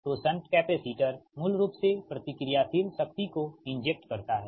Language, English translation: Hindi, so shunt capacitor, basically it injects reactive power